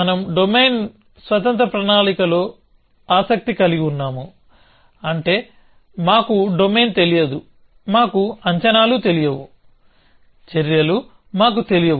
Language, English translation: Telugu, We are interested is in domain independent planning, which means we do not know the domain, we do not know the predicates, we do not know the actions